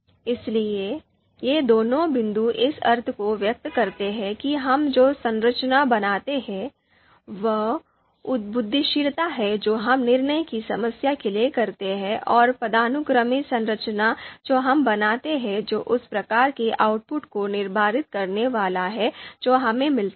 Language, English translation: Hindi, So so both these points convey the sense that the structure that we create, the brainstorming that we do for a decision problem and the hierarchical structure that we create that is going to determine the kind of output that we get